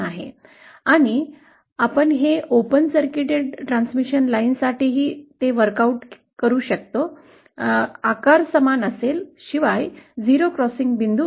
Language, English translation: Marathi, And you can work it out that for open circuited transmission line also, the shape will be the same except that the points of 0 crossing will be different